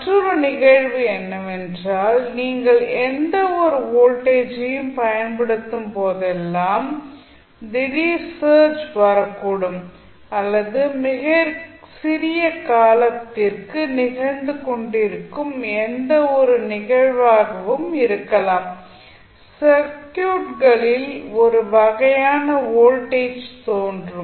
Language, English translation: Tamil, Another phenomena is that whenever you apply any voltage there might be some sudden search coming up or maybe any event which is happening very for very small time period, you will have 1 search kind of voltage appearing in the circuit